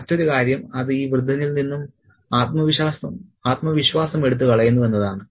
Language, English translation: Malayalam, The other thing is that it takes the confidence out of this old man as well